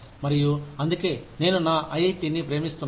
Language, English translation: Telugu, And, that is why, I love my IIT